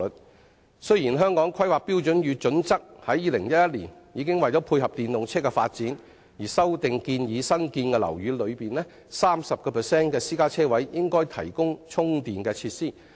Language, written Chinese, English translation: Cantonese, 為配合電動車的發展，《香港規劃標準與準則》於2011年已作修訂，建議新建樓宇內 30% 的私家車車位應提供充電設施。, To dovetail with the development of EVs the authorities already amended the Hong Kong Planning Standards and Guidelines in 2011 proposing that 30 % of the private car parking spaces in newly completed buildings should be equipped with charging facilities